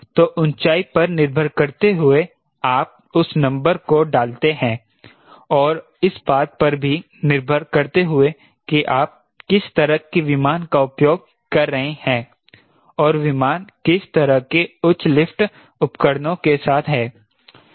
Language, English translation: Hindi, so, depending upon what is the altitude you put that number and depending upon what sort of aircraft you are using and what sort of that aircraft is complemented with high lift devices